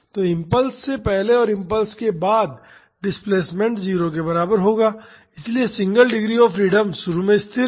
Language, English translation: Hindi, So, the displacement before the impulse and after the impulse will be equal to 0 so, the single degree of freedom system is at rest initially